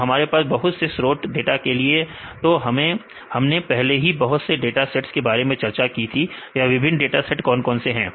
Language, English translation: Hindi, So, we can have various a resources to get the data, we discussed about various datasets various what are different databases we discussed